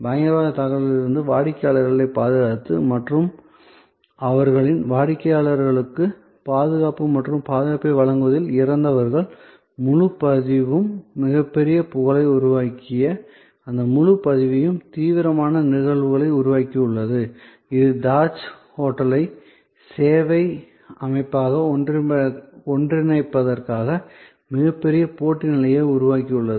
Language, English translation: Tamil, Protected the clients from harm the terrorist attack and what the died in providing safety and security to their customers has created those serious of incidences that whole record that has created a tremendous reputation, that has created a tremendous competitive position that has catapulted Tajmahal hotel to merge higher level as it service organization